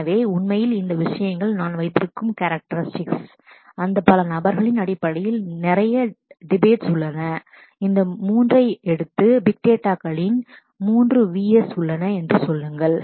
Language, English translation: Tamil, So, actually these things characteristics that I have put, there are lot of debates in terms of that or many people take these 3 and say that there these are the 3 V s of big data